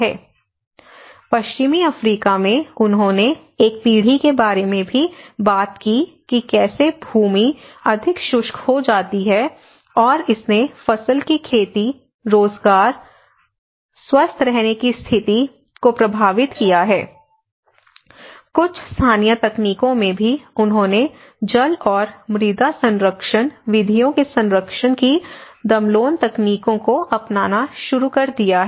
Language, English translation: Hindi, Similarly, in the western Africa, they also talked about in one generation how the land become more arid, it is already arid and becomes more arid, and it has affected the crop cultivation, and it has affected the employment, it has affected even the healthy living conditions there, so that is where even some of the local techniques, they have started adapting the Damloon techniques of conserving water and soil conservation methods